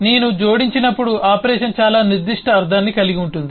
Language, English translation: Telugu, but when I add, the operation has very specific meaning